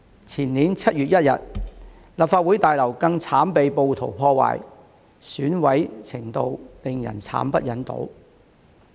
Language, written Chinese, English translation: Cantonese, 前年7月1日，立法會大樓更慘被暴徒破壞，損毀程度令人慘不忍睹。, In 1 July two years ago the Legislative Council Complex was even wantonly vandalized by rioters resulting in an unbearable degree of devastation